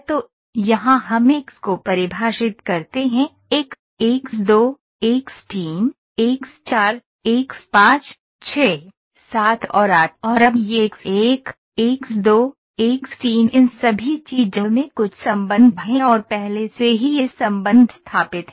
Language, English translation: Hindi, So, here in which we define X1, X2, X3, X4, X5, 6, 7 and 8 and now this X1, X2, X3, X3 all these things are having some relationship and already this relationship is established